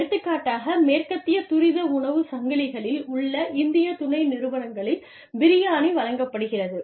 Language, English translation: Tamil, For example, biryani is served, in the Indian subsidiaries, of foreign, of western fast food chains